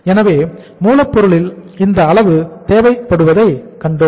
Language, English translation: Tamil, So we saw that this much is required in the raw material